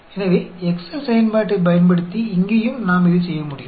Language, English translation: Tamil, So, we can use the Excel function also to get the same answer